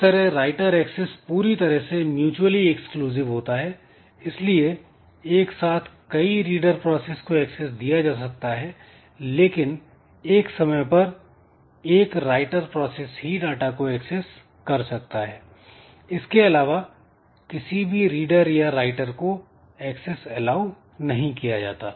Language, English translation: Hindi, So, writer access is totally mutually exclusive but these readers are shared and multiple readers can be allowed but when a writer is accessing only one writer should be allowed no more writer or reader should be allowed at that point of time